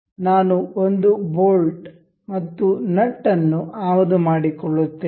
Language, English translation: Kannada, I will be importing one a bolt and a nut